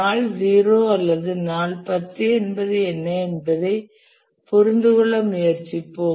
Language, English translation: Tamil, The day zero, let's try to understand what exactly is meant by day zero or day 10 or something